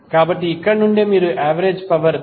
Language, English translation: Telugu, So from here itself you can say that the average power is 344